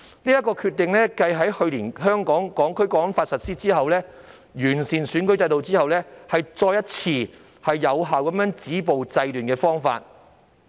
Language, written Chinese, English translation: Cantonese, 這是繼去年開始實施《香港國安法》及完善選舉制度後，另一個有效止暴制亂的方法。, This is another effective means to stop violence and curb disorder following the implementation of the National Security Law last year and the improvement to the electoral system